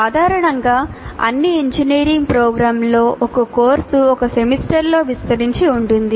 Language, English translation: Telugu, That will be quite different from normally in all engineering programs, a course is spread over one semester